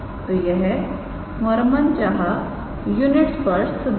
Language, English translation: Hindi, So, that is our required unit tangent vector